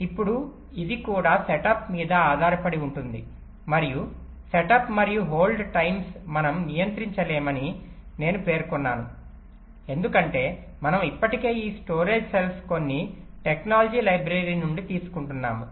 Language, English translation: Telugu, that set and hold times are something that we assume, that we cannot control, because we are already picking up this storage cell from some from some technology library